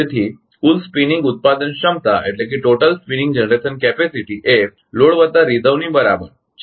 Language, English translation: Gujarati, So, total spinning generation capacity is equal to load plus reserve